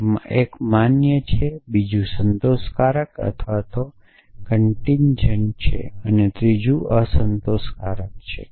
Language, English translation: Gujarati, So, one is valid the second is satisfiable or contingent and a third is unsatisfiable